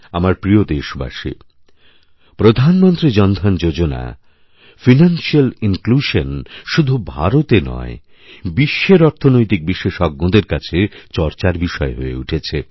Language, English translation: Bengali, My dear countrymen, the Pradhan Mantri Jan DhanYojna, financial inclusion, had been a point of discussion amongst Financial Pundits, not just in India, but all over the world